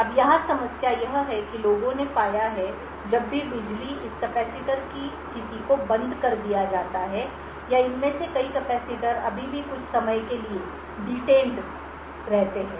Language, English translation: Hindi, Now the problem here is that people have found that even when the power is turned off the state of this capacitors or many of these capacitors is still detained for certain amount of time